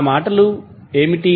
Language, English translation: Telugu, What were those words